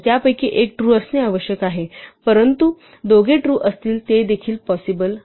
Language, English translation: Marathi, So, one of them must be true, but it also possible when both are them true